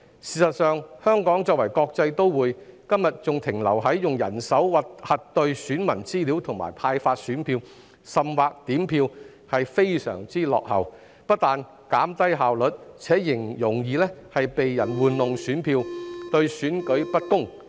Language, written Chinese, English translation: Cantonese, 事實上，香港作為國際都會，今天還停留在用人手核對選民資料、派發選票甚或點票，是非常落後的，不單減低效率，而且容易被人玩弄選票，對選舉不公。, In fact in a cosmopolitan city like Hong Kong it is extremely outdated that we are still verifying electors information distributing ballot papers and even counting votes manually . The practice is not merely inefficient but is also prone to vote manipulation and unfair election